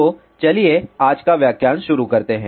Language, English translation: Hindi, So, let us start today's lecture